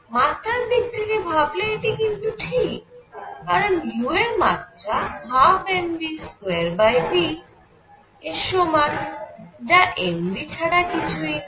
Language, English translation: Bengali, You can see this is dimensionally correct because u has a dimension of one half m v square divided by v; which is same as m v